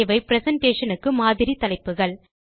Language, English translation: Tamil, They are sample headings for the presentation